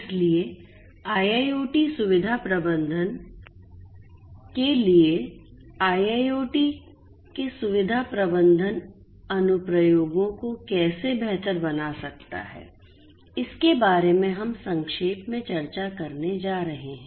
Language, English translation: Hindi, So, how IIoT can improve facility management applications of IIoT for facility management is what we are going to discuss briefly